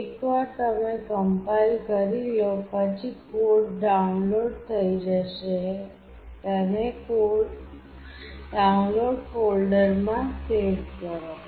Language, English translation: Gujarati, Once you compile then the code will get downloaded, save it in the Download folder